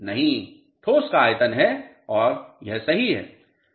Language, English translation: Hindi, No, volume of solids and correct